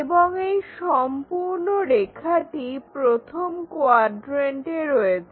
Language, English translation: Bengali, And, this entire line is in the 1st quadrant